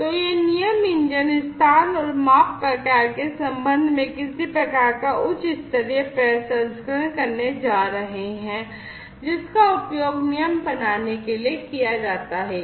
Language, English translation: Hindi, So, these rule engines are going to do some kind of high level processing, with respect to the location and the measurement type, that is used for rule formation